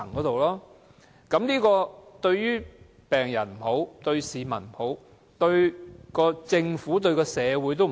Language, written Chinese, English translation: Cantonese, 這樣不論對病人、市民、政府、社會也不好。, This is not conducive to the wellbeing of patients members of the public the Government and society as a whole